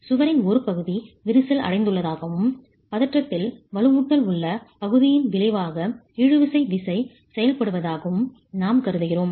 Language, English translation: Tamil, We are assuming that part of the wall is cracked and the tension tensile force is acting at the resultant of the region which has the reinforcement in tension